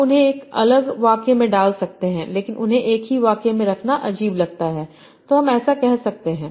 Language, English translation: Hindi, You can put them in two different sentences, but putting them in the same sentence looks weird